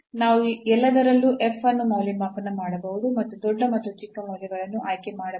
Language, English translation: Kannada, So, we can evaluate f at all of them and choose the largest and the smallest values